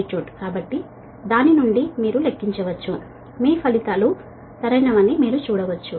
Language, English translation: Telugu, so from that you can calculate, you can see that your results are correct